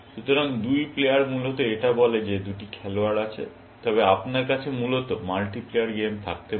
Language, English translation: Bengali, So, two player basically, says that there are two players, but you can have multi player game, essentially